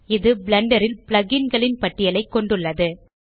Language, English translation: Tamil, This contains a list plug ins in blender